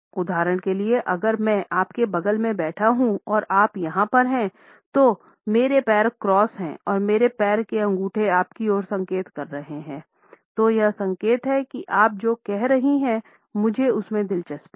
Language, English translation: Hindi, For instance if I am sitting next to you and you are over here my leg is crossed with my toe pointed toward you that is a signal that I am interested in engaged in what you are saying